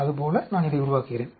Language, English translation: Tamil, Like that I build this